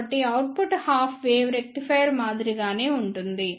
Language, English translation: Telugu, So, the output will be similar to the half wave rectifier